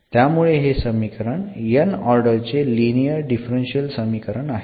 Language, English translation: Marathi, So, it is a linear differential equation and nth order linear differential equation